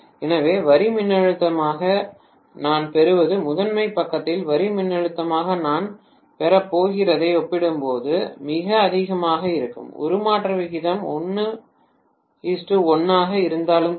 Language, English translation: Tamil, So what I get as the line voltage will be way too higher as compared to what I am going to get as the line voltage on the primary side, even if the transformation ratio is 1 is to 1, right